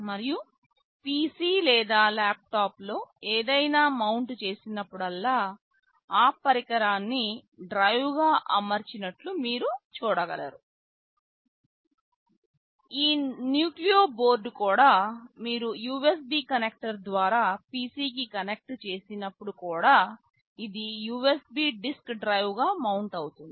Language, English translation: Telugu, And, just like whenever you mount something on a PC or laptop you see that device mounted as a drive, this nucleo board also when you connect it to a PC through USB connector which also gets mounted as a USB disk drive